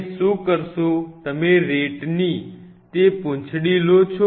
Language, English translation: Gujarati, What you do you just take that tail of the RAT